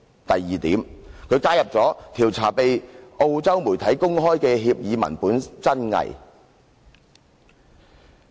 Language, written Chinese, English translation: Cantonese, 第二，加入"調查被澳洲媒體公開的協議文本真偽"。, Second the addition of inquiring into the authenticity of the agreement made public by the Australian media